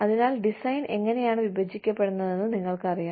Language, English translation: Malayalam, And the, so you know, so how the design is split up